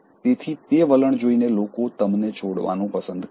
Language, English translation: Gujarati, So, showing that attitude, people would like to leave you